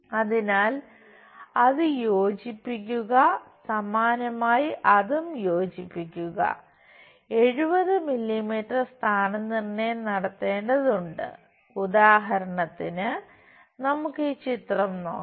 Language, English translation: Malayalam, So, join that similarly join that, at 70 mm we have to locate for example, let us look at this picture